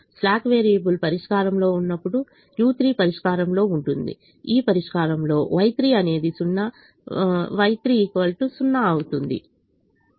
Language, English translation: Telugu, when the slack variable is in the solution, u three is in the solution, y three is zero